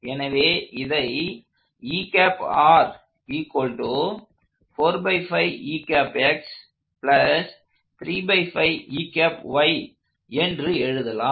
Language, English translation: Tamil, Let me write that down up front